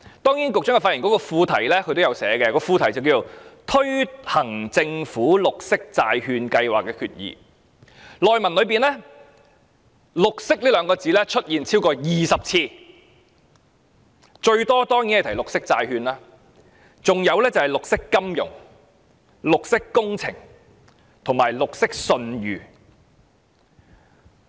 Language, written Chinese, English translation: Cantonese, 當然，局長發言稿的副題是"推行政府綠色債券計劃的決議"，而內文"綠色"兩個字出現超過20次，最多提述的當然是"綠色債券"，還有便是"綠色金融"、"綠色工程"及"綠色信譽"。, Of course the subtitle of the Secretarys speech is Resolution to Implement the Government Green Bond Programme and the word green has appeared over 20 times in the speech . The most referenced is of course green bonds followed by green financefinancing green works and green credibility